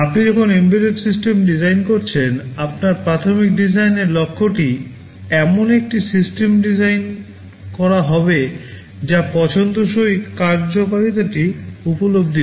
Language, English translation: Bengali, When you are designing an embedded system, your primary design goal will be to design a system that realizes the desired functionality